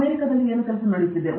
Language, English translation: Kannada, What are the Americans working on